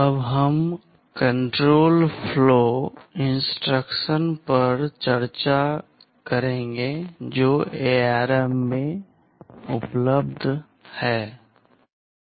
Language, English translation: Hindi, We now discuss the control flow instructions that are available in ARM